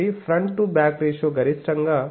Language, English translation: Telugu, So, front to back ratio maximum is 15